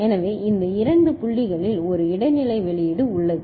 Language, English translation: Tamil, So, there is an intermediate output at this two points